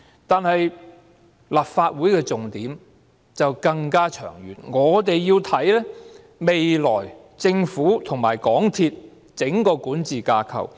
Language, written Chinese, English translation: Cantonese, 但是，立法會的重點則更長遠，我們要看的是未來政府和港鐵公司的整個管治架構。, Nevertheless the Legislative Councils focus is on a farther horizon . We need to examine the entire governance framework between the Government and MTRCL in the future